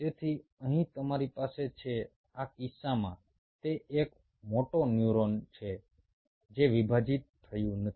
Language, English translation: Gujarati, in this case it is a motor neuron which did not divide